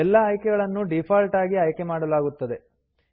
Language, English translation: Kannada, All the options are selected by default